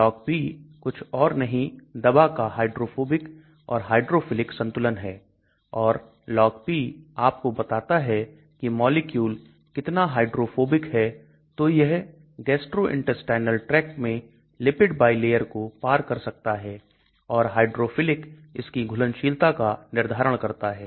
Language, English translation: Hindi, LogP is nothing but the hydrophobic, hydrophilic balance of the drug and logP tells you how much hydrophobic the molecule is so that it can cross the lipid bilayer in the gastrointestinal tract and the hydrophilic determines the solubility of this